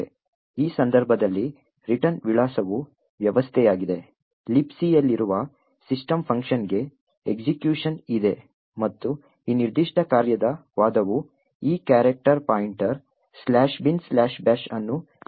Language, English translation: Kannada, In this case the return address is the system, execution is into the system function present in LibC and the argument for this particular function is this character pointer pointing to slash bin slash bash